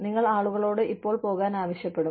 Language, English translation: Malayalam, You would ask people, to leave now